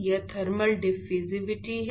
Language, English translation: Hindi, It is thermal diffusivity, right